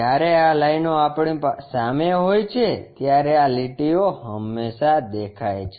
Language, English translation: Gujarati, Whereas these lines are in front of us so, these lines are always be visible